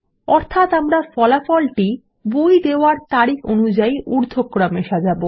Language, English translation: Bengali, Meaning we will sort the result set by the Issue Date in ascending order